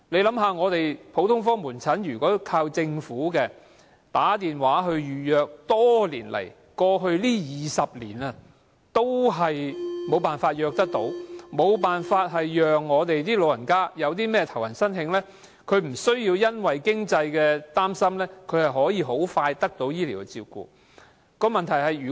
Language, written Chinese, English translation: Cantonese, 想想看，如果我們依靠政府的普通科門診 ，20 多年來也難以透過電話預約服務成功預約門診，更沒辦法讓老人家在"頭暈身㷫"時，不需要擔心經濟問題而可以很快得到醫療照顧。, Just imagine for more than 20 years how difficult it has been for us to book a medical consultation service through the public general outpatient clinic telephone appointment system . Our elderly persons are unable to go to a doctor whenever they feel dizzy or get a fever without worrying about money